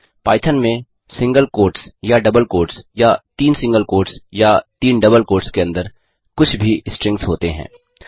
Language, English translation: Hindi, In Python anything within either single quotes or double quotes or triple single quotes or triple double quotes are strings